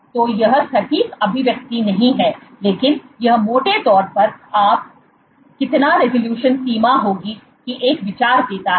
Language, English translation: Hindi, So, this is not the exact expression, but this is roughly gives you an idea of how much would be the resolution limit